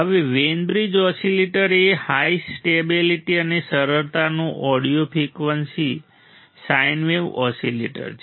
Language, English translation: Gujarati, Now Wein bridge oscillator is an audio frequency sine wave oscillator of high stability and simplicity ok